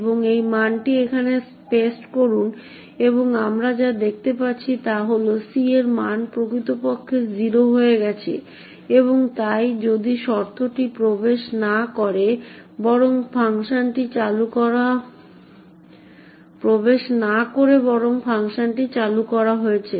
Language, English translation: Bengali, So, let us give this as input overflow and paste this value here and what we see is that the value of C indeed has become 0 and therefore this if condition has not entered but rather function has being been invoked